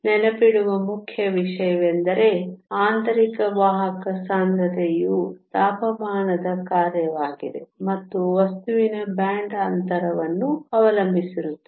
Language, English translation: Kannada, The important thing to remember is that the intrinsic carrier concentration is a function of temperature and depends upon the band gap of the material